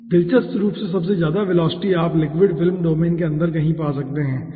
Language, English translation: Hindi, interestingly, the aah highest velocity, you can find out somewhere inside the liquid film domain, okay